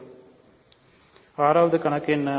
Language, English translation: Tamil, So, what is the 6th problem